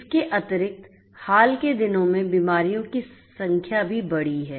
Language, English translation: Hindi, Additionally, the number of diseases have also increased in the recent times